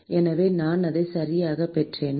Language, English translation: Tamil, So, did I get it right